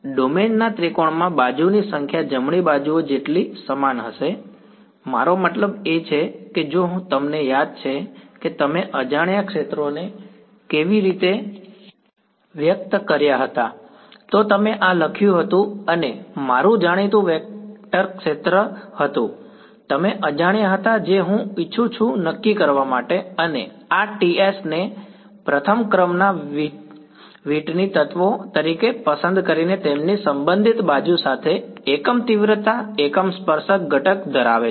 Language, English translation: Gujarati, As many edges right is going to be equal to number of edges in triangulation of the domain, how I mean if you remember how did you express the unknown fields right you wrote this as sum i is equal to 1 to 3 u i T i and T i was my known vector field u’s were the unknowns which I wanted to determine, and by choosing the these T s to be those first order Whitney elements these had unit magnitude unit tangential component along their respective edges